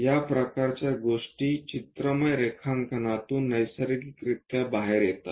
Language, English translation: Marathi, This kind of things naturally comes out from this pictorial drawing